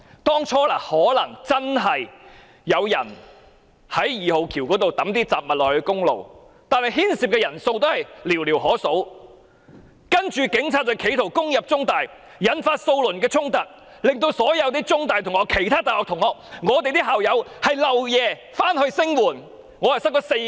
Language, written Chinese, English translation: Cantonese, 當初或許真的有人從二號橋拋擲雜物到公路上，但牽涉人數應寥寥可數，警方卻因此企圖攻入中大，引發數輪衝突，令所有中大同學、其他大學同學和我們這些校友要連夜趕回校園聲援。, It is possible that someone did try to throw objects from the No . 2 Bridge onto the highway underneath at the outset but the number of people involved should be minimal . Yet the Police used this as an excuse to try to enter CUHK by force thus leading to several rounds of conflicts prompting students of CUHK and other universities as well as alumni like us to rush back to the campus to express our support for the young people there